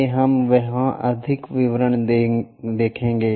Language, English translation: Hindi, Let us look at more details there